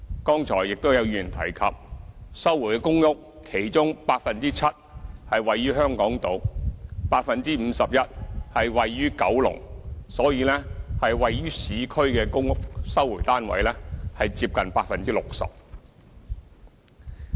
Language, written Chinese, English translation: Cantonese, 剛才亦都有議員提及，在收回的公屋之中，其中 7% 是位於香港島 ，51% 位於九龍，所以位於市區的公屋收回單位是接近 60%。, Also as mentioned by Members just now 7 % of the recovered PRH units are located in Hong Kong Island and 51 % of those are in Kowloon meaning that recovered PRH units in the urban areas made up nearly 60 % of the total